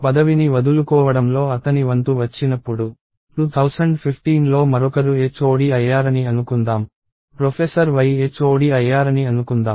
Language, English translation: Telugu, When his turn comes to give up the position, let us say in 2015 somebody else becomes the HOD, let us say professor Y becomes the HOD